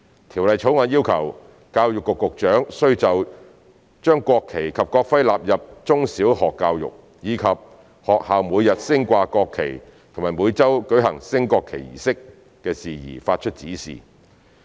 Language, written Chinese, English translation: Cantonese, 《條例草案》要求教育局局長須就將國旗及國徽納入中小學教育，以及學校每日升掛國旗及每周舉行升國旗儀式的事宜發出指示。, The Bill requires the Secretary for Education to give directions for the inclusion of the national flag and national emblem in primary education and in secondary education as well as matters relating to the daily display of the national flag and the weekly conduct of a national flag raising ceremony